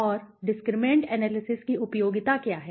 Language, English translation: Hindi, And what is the utility of discriminant analysis